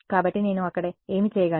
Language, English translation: Telugu, So, what can I do over there